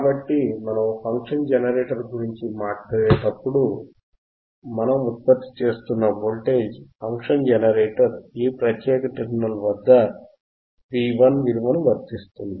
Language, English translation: Telugu, So, when we talk about function generator, right in front of function generator the voltage that we are generating from the function generator will apply at this particular terminal V 1 alright